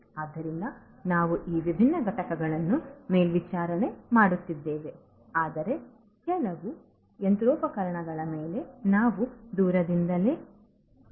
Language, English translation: Kannada, So, we are not only monitoring these different entities, but also we can have control over certain machinery, remotely